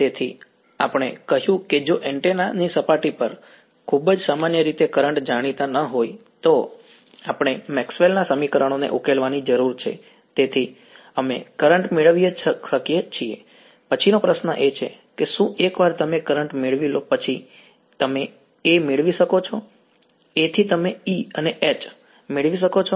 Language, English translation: Gujarati, So, we said if the currents are not known on the surface of the antenna in very general way we need to solve Maxwell equations , therefore, we can get the current next question is so what, once you get the currents you can get A, from A you can get E and H ok